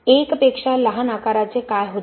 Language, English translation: Marathi, What about sizes smaller than 1